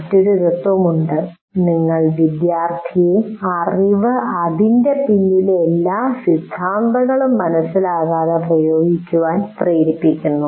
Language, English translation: Malayalam, And sometimes there is also a principle you make the student apply the knowledge without understanding all the theory behind it